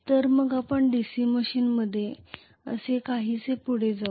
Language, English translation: Marathi, So let us actually proceeds somewhat like this in a DC machine